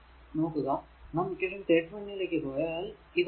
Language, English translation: Malayalam, Because you know this one if you go to equation 31, you go to equation 31, that is your this equation, right